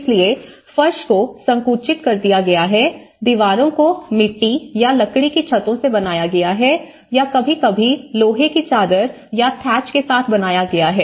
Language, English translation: Hindi, So, floors have been compressed earth, walls are made with mud or timber roofs, sometimes an iron sheet or thatch